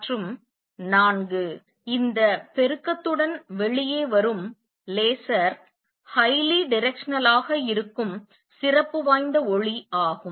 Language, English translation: Tamil, And four laser which comes out this amplification is special light that is highly directional